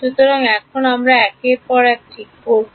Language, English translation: Bengali, So, H now we will take one by one ok